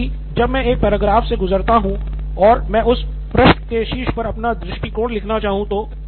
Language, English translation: Hindi, I go through a paragraph and I would want to make my point of view on top of that page